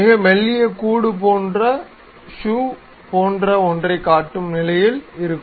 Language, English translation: Tamil, A very thin shell one will be in a position to construct something like a shoe